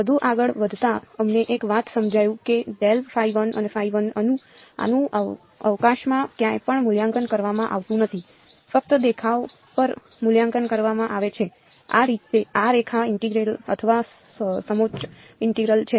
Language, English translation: Gujarati, Moving further one thing we realized was that grad phi 1 and phi 1 these are not being evaluated anywhere in space there only being evaluated on the look this is the line integral or a contour integral